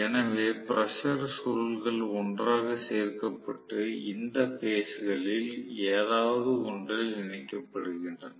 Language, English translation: Tamil, So, the pressure coils are getting connected together in one of the phases